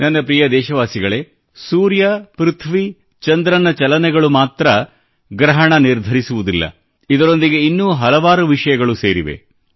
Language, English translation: Kannada, My dear countrymen, the movement of the sun, moon and earth doesn't just determine eclipses, rather many other things are also associated with them